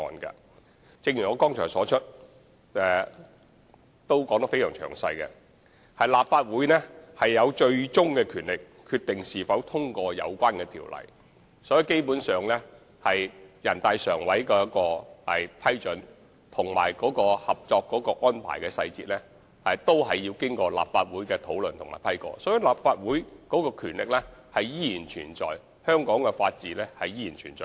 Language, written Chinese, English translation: Cantonese, 正如我剛才所作的詳細闡述，立法會具有最終權力決定是否通過有關的條例草案，所以基本上全國人大常委會的批准及《合作安排》的細節都要經立法會討論，立法會的權力及香港的法治依然存在。, As I have explained in detail the Legislative Council is vested with the ultimate power to decide on the passage of the relevant bill or otherwise . Hence in the final analysis the approval of NPCSC and the details of the Co - operation Arrangement will be subject to discussions by the Legislative Council . The powers of the Legislative Council and Hong Kongs rule of law still exist